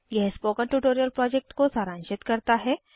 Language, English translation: Hindi, I will now talk about the spoken tutorial project